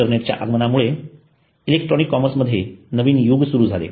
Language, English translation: Marathi, Introduction of internet introduced a new era in the electronic commerce